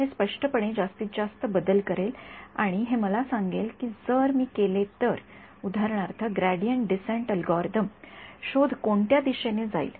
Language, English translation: Marathi, It will clearly me maximum change and it will tell me that if I did, for example, the gradient descent algorithm which direction will the search go right